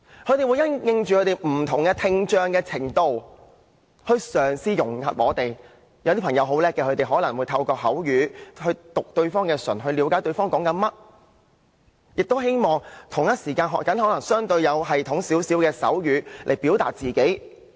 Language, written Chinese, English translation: Cantonese, 他們會因應本身不同聽障程度來嘗試融入社會，有些朋友很聰明，他們可能透過口語，讀對方的嘴唇，以了解對方在說甚麼，亦同時學習相對有系統的手語來表達自己。, Some of them are very clever . They have learnt to use the spoken language and can understand others messages by lip - reading . At the same time they have also learnt how to express themselves using the more systematic means of sign language